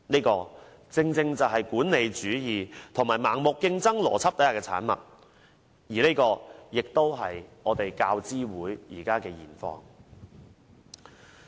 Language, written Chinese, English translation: Cantonese, 這正正是管理主義及盲目競爭邏輯之下的產物，這也是教資會的現況。, This is the product of managerialism and blind competition . This is also the present situation of UGC . Chairman perhaps Members do not understand what wandering lecturers are